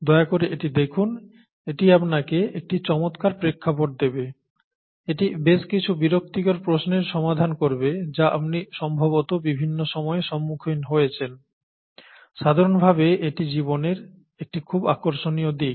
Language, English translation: Bengali, Please take a look at it, it will provide you with a nice context, it will probably clear up quite a few of those nagging questions that you may have had at several points in time and so on, okay, it’s very interesting aspect of life in general